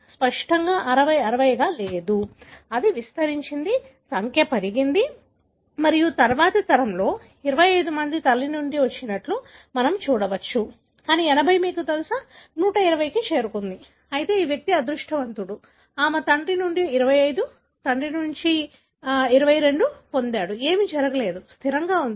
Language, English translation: Telugu, Obviously, 60 did not stay as 60, it expanded, the number increased and in the next generation, we can see the 25 had come from mother, but the 80, you know, gone up to 120, whereas this individual was lucky, she got the 25 from mother, 22 from father, nothing happened, stable